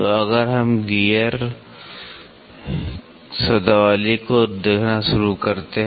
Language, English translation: Hindi, So, if we start looking at Gear Terminology